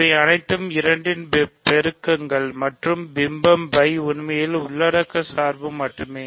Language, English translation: Tamil, These are all multiples of 2 and the map phi is actually just the inclusion map